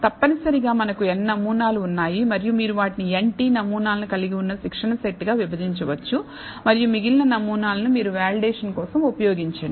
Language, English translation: Telugu, So, essentially we have n samples and you can divide it to a training set con consisting of n t samples and the remaining samples you actually use for validation